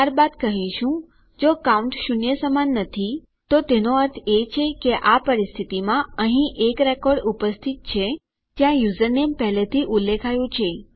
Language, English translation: Gujarati, Then we can say, if our count doesnt equal zero, meaning there is a record present under this condition where the username is already specified..